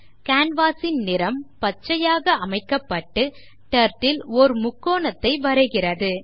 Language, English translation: Tamil, The canvas color becomes green and the Turtle draws a triangle